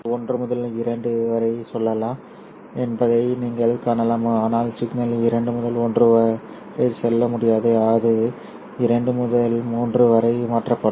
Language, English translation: Tamil, So you can see that signal can go from 1 to 2 but signal cannot go from 2 to 1